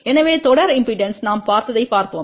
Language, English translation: Tamil, So, let us see for the series impedance, what we had seen